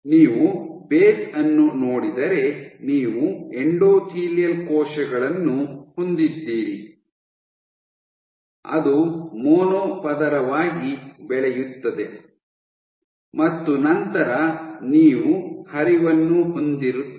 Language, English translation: Kannada, If you look at the base you have endothelial cells are grown as a mono layer and then you have flow